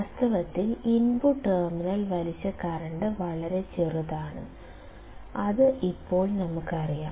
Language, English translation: Malayalam, In reality, the current drawn by the input terminal is very small that we know that now